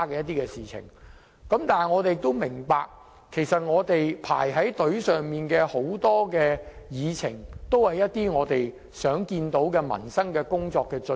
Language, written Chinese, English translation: Cantonese, 但是，我們都明白，正在輪候審議的議程項目都是我們想要處理的民生工作。, We must understand that the agenda items pending our examination are livelihood - related issues that we want to address